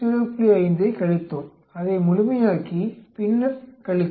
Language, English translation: Tamil, 5, we made it absolute and then subtracted